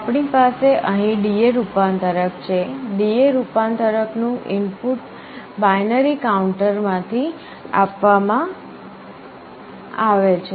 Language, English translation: Gujarati, We have a D/A converter out here, the input of the D/A converter is fed from a binary counter